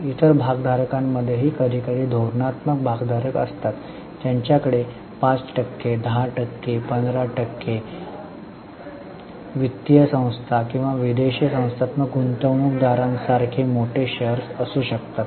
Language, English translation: Marathi, Within other shareholders also sometimes there are strategic shareholders who may have big chunks of shares like 5%, 10% 15%, like financial institutions or like foreign institutional investors